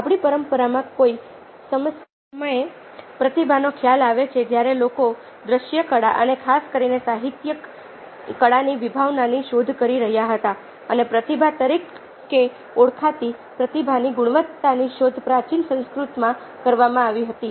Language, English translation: Gujarati, we have the concept of a genius in our tradition, at some point of time when people were exploring the concept of visual arts ah, and especially ah literary arts, the concept of a genius and ah the quality of a genius, which was known as prathiva, was explored in the ancient sanskrit tradition